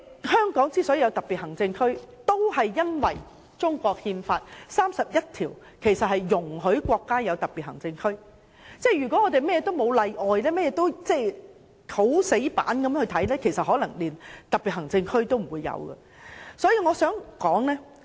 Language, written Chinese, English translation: Cantonese, 香港成為特別行政區，也是因為《中國憲法》第三十一條訂明容許國家設立特別行政區，如果甚麼都沒有例外或我們很死板地看待事情，可能連特別行政區都不會設立。, Hong Kong can become a Special Administrative Region precisely because Article 31 of the Constitution of China allows the State to establish special administrative regions . If exception is not made or if everything is done by the book the special administrative regions might not even be established